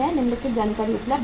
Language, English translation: Hindi, The following information are available